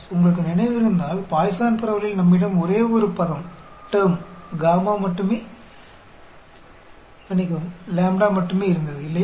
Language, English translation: Tamil, If you remember, in Poisson distribution we had only one term lambda, right